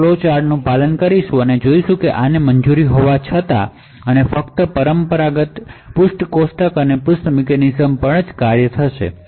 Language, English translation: Gujarati, So, we will follow the flowchart and see that this should be permitted and only the traditional page tables and page mechanisms would work